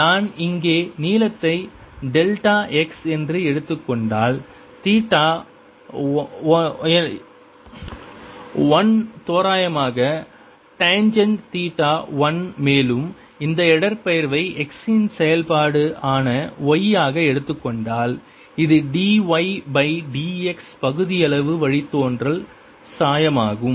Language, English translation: Tamil, if i take the length here to be delta x, theta one is roughly tangent theta one and if we take this displacement to be y as a, the function of x, this is partial derivative d y by d x